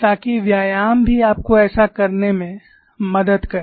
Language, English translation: Hindi, So that exercise also will help you to do that